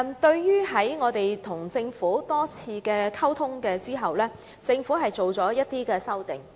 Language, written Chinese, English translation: Cantonese, 在與我們多次溝通後，政府作出了一些修訂。, The Government proposed some amendments accordingly after having numerous encounters with us